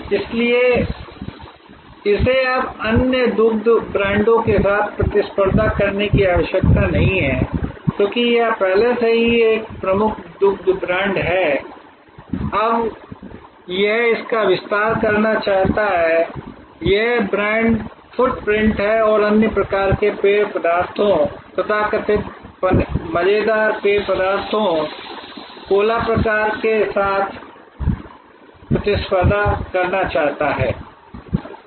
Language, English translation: Hindi, So, it no longer needs to compete with other milk brands, because it is already a dominant milk brand, it now wants to expand it is brand footprint and wants to compete with other kinds of beverages, the so called fun beverages, the cola type of beverages and so on